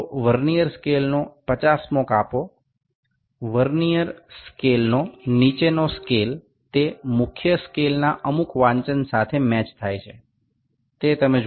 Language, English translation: Gujarati, So, the 50th division of the Vernier scale, the lower scale that is a Vernier scale is matching with some reading on the main scale if you can see